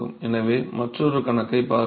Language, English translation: Tamil, So, let us look at an another problem